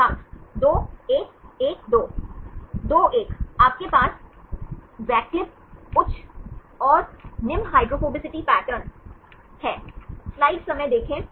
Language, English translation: Hindi, 1 1, you have the alternate high and low hydrophobicity patterns